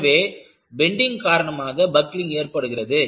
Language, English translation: Tamil, So, buckling can be precipitated by bending